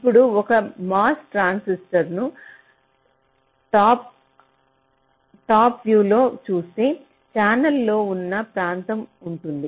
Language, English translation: Telugu, now, if you look at a transistor, say from a top view, a mos transistor, there is a region which is the channel